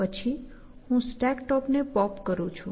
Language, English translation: Gujarati, Then, I pop the top of the stack